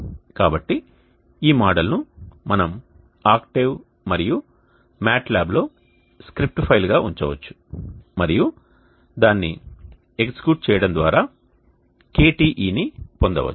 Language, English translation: Telugu, So this model we can put it as script file within the octave and mat lab and execute it to obtain KTe